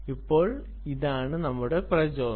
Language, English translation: Malayalam, this is the motivation